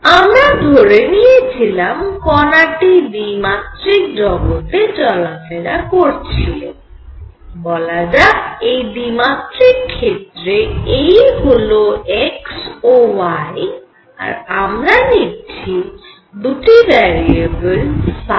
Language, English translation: Bengali, So, we considered a particle moving in 2 dimensional space; let us just confined our say as to 2 dimension x and y and we considered the variables that describes phi and r